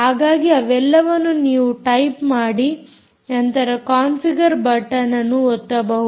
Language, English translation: Kannada, so you just type all that and then just press configure button